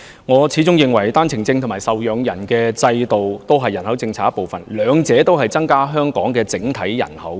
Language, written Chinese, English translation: Cantonese, 我始終認為單程證和受養人制度同屬人口政策的一部分，兩者均會令香港整體人口增加。, I am still of the view that both the One - way Permit OWP and the dependant systems are parts of the population policy and will result in population growth in Hong Kong in general